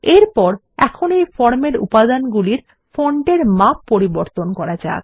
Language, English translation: Bengali, Next, let us change the font sizes of these elements now